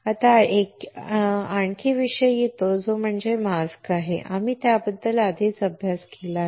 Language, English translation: Marathi, Now, comes another topic which is mask and we have already studied about it